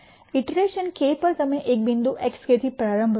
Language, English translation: Gujarati, At iteration k you start at a point x k